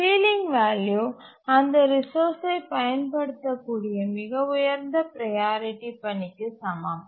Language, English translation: Tamil, The ceiling value is equal to the highest priority task that may ever use that resource